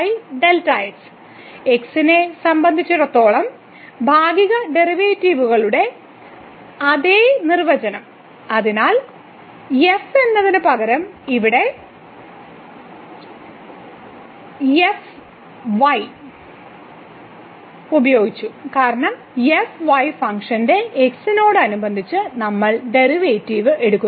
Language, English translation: Malayalam, The same definition of the partial derivatives with respect to : so instead of we have used here , because we are taking the derivative with respect to of the function